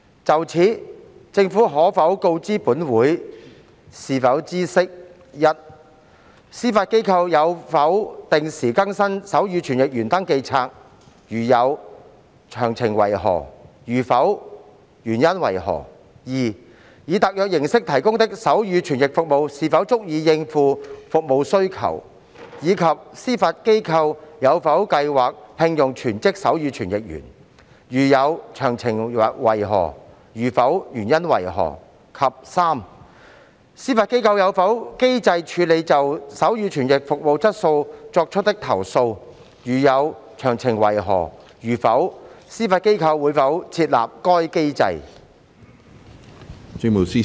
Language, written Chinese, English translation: Cantonese, 就此，政府可否告知本會，是否知悉：一司法機構有否定時更新手語傳譯員登記冊；如有，詳情為何；如否，原因為何；二以特約形式提供的手語傳譯服務是否足以應付服務需求，以及司法機構有否計劃聘用全職手語傳譯員；如有，詳情為何；如否，原因為何；及三司法機構有否機制處理就手語傳譯服務質素作出的投訴；如有，詳情為何；如否，司法機構會否設立該機制？, In this connection will the Government inform this Council if it knows 1 whether the Judiciary has regularly updated the register of sign language interpreters; if the Judiciary has of the details; if not the reasons for that; 2 whether sign language interpretation service provided on a freelance basis is sufficient to cope with the service demand and whether the Judiciary has plans to engage full - time sign language interpreters; if the Judiciary does of the details; if not the reasons for that; and 3 whether the Judiciary has put in place a mechanism for handling complaints about the quality of sign language interpretation service; if the Judiciary has of the details; if not whether the Judiciary will establish such mechanism?